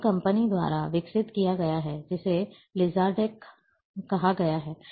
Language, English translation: Hindi, This has been developed by company which is called LizardTech